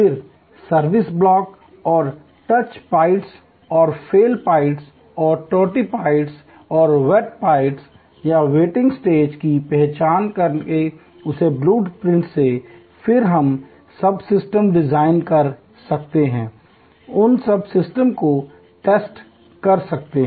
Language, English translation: Hindi, Then, from that blue print by identifying the service blocks and the touch points and the fail points and the bottleneck points and the weight points or the waiting stages, we can then design subsystems, test those subsystems